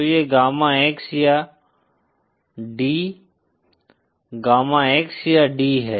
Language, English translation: Hindi, So this is the gamma X or D, gamma X or D